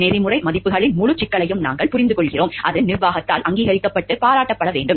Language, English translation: Tamil, And we understand the full complexity of the ethical values, it needs to be acknowledged and appreciated by the management